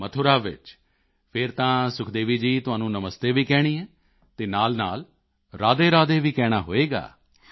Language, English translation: Punjabi, In Mathura, then Sukhdevi ji, one has to say Namaste and say RadheRadhe as well